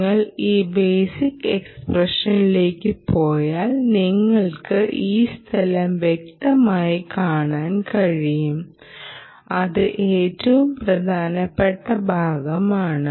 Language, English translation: Malayalam, right, if you go to this basic expression, you clearly see this place, the most vital role